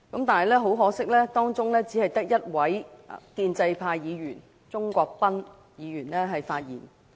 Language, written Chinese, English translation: Cantonese, 但是，很可惜，當中只有1位建制派議員——鍾國斌議員——發言。, However it is most regrettable that only one Member from the pro - establishment camp―Mr CHUNG Kwok - pan―has spoken on the motion